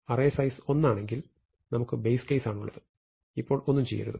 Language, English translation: Malayalam, If we have an element of size one, we have the base case, nothing should be done